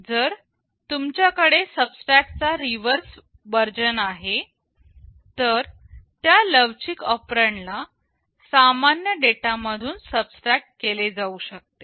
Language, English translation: Marathi, If you have a reverse version of subtract then that flexible operand can be subtracted from or the normal data